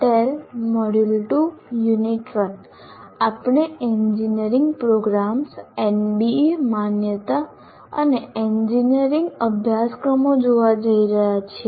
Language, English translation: Gujarati, So tell the module two, the unit 1 is we are going to look at engineering programs, what are they, MBA accreditation and engineering courses